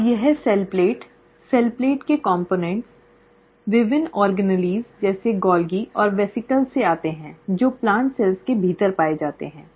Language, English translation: Hindi, Now this cell plate, the components of the cell plate comes from various organelles like Golgi and the vesicles found within the plant cell